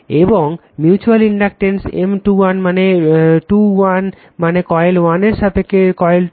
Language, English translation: Bengali, And mutual inductance M 2 1 means 2 1 means coil 2 with respect to coil 1